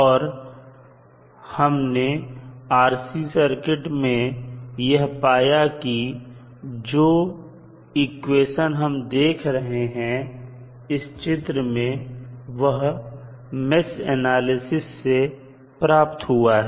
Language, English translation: Hindi, And we found that the equation for the RC circuit which we are seeing in the figure was was derived with the help of mesh equations